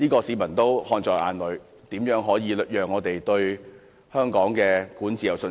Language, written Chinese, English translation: Cantonese, 市民看在眼裏，怎可能對香港的管治有信心？, In view of this how could the public have confidence in the governance of Hong Kong?